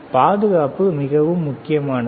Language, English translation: Tamil, Safety is extremely important all right